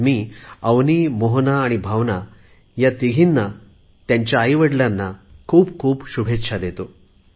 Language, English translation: Marathi, I extend my heartiest wishes to these three daughters Avni, Bhawana and Mohana as well as their parents